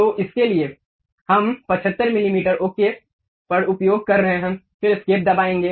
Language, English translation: Hindi, So, for that we are using 75 millimeters OK, then press escape